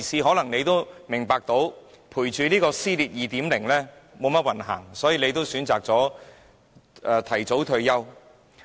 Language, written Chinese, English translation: Cantonese, 或許他也明白到，追隨這位"撕裂 2.0" 特首並沒意思，寧可選擇提早退休。, Perhaps he knows too well that it is meaningless to be a follower of the Chief Executive Division 2.0 and would rather opt for early retirement